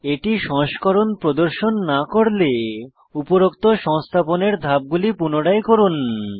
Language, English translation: Bengali, If it doesnt show the version, repeat the above installation steps once again